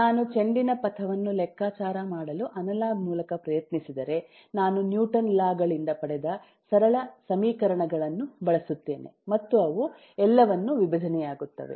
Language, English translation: Kannada, if I try to compute the trajectory of the ball through analog means, I will use simple equations derived from newtons laws and they will divide everything